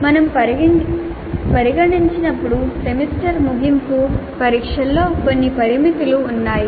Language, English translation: Telugu, Now the semester end examination when we consider, there are certain limitations